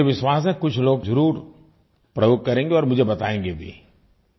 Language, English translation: Hindi, I believe some people will put them to use and they will tell me about that too